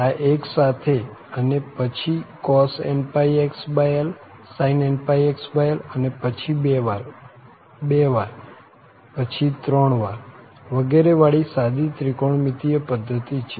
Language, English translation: Gujarati, So, this is a general trigonometric system having this 1 and then cos pi x over l sin pix over l and then 2 times, then 2 times, then 3 times etcetera